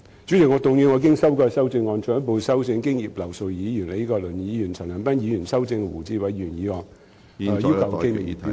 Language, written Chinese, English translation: Cantonese, 主席，我動議我經修改的修正案，進一步修正經葉劉淑儀議員、李國麟議員及陳恒鑌議員修正的胡志偉議員議案。, President I move that Mr WU Chi - wais motion as amended by Mrs Regina IP Prof Joseph LEE and Mr CHAN Han - pan be further amended by my revised amendment